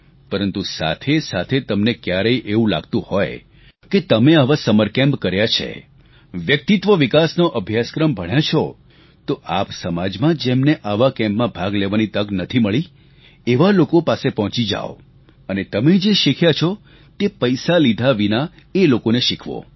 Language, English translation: Gujarati, But at the same time, don't you feel that after you've attended such summer camps, you have participated in the courses for development of personality and you reach out to those people who have no such opportunity and teach them what you have learned without taking any money